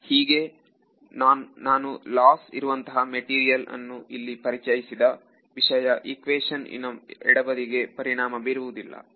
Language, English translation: Kannada, So, the fact that I have now introduced some lossy materials here does not alter the left hand side of the equation right